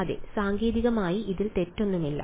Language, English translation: Malayalam, Yes, technically there is nothing wrong with this